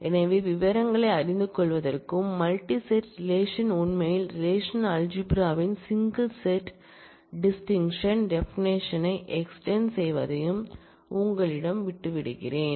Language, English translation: Tamil, So, I will leave it to you to go through the details and convince yourself that, these multi set relations really extend the traditional single set distinct definition of the relational algebra